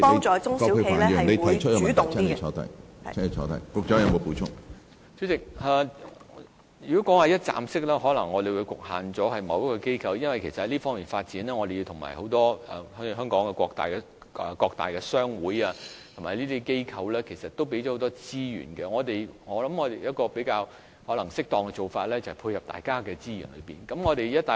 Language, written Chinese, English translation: Cantonese, 主席，如果說一站式的服務平台，我們可能會局限了由某一個機構負責，因為在這方面，香港各大商會和很多機構都提供了很多資源。我認為一個比較適當的做法，就是配合各方的資源。, President the operation of a one - stop service platform may be exclusively assigned to a certain organization . Given that various trade associations and many organizations in Hong Kong have provided a lot of resources I think a more appropriate approach is to coordinate the resources from various sectors